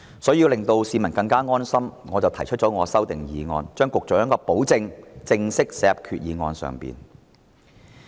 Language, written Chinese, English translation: Cantonese, 所以，要令到市民更安心，我提出了修訂議案，把局長的保證正式寫入決議案內。, Hence I have proposed an amending motion to officially include the Secretarys commitment in the Resolution in order to assure the public